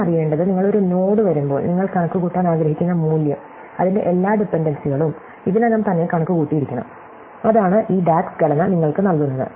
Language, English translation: Malayalam, All you need to know is, when you come a node, the value you want to compute, all its dependencies must have already been computed, that is what this DAG’s structure gives you, right